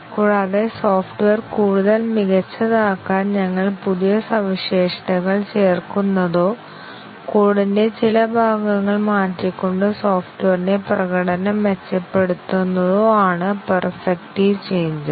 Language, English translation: Malayalam, and perfective changes are those, where we add new features to make the software more perfect or we improve the performance of the software by changing some parts of the code and so on